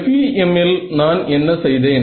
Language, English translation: Tamil, So, in the FEM what did I do